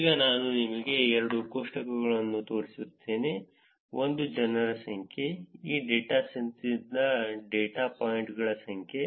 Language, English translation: Kannada, Now I will show you two tables, one is the number of people, number of the data points from this dataset